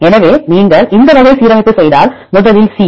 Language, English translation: Tamil, So, if you make this type of alignment first one is C